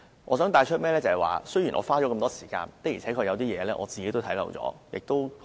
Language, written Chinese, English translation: Cantonese, 我想帶出一點，雖然我花了這麼多時間，但有些事情，我的確看漏了眼。, I would like to bring up a point . Despite having spent much time on the Bill I do have missed certain matters